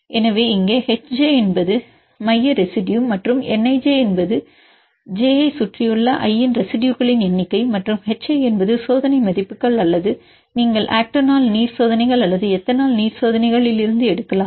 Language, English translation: Tamil, So, here H j is the central residue and N ij is the number of residues of type i around j and h i is the experimental values either you can take from the octanol water experiments or the ethanol water experiments right